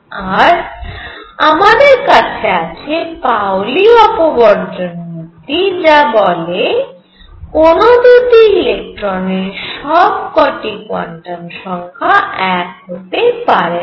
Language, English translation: Bengali, And then we have the Pauli Exclusion Principle, that no 2 electrons can have all numbers the same